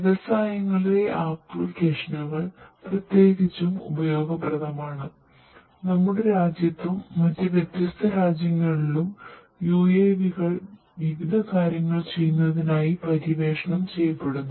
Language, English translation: Malayalam, Applications in the industries are particularly useful; in our country and different other countries UAVs are being explored to do number of different things